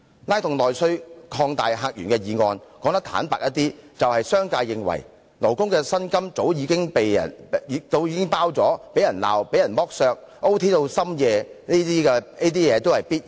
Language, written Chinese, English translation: Cantonese, "拉動內需擴大客源"這項議案，說得坦白些，就是商界認為勞工的薪酬已包含被責罵、被剝削、加班至夜深等，全部也是必然的。, The motion Stimulating internal demand and opening up new visitor sources frankly realizes the business sectors view that the labourers wages have already paid for the rebukes and insults to which they are exposed their exploitation over - time work night shifts and so on all being part of the package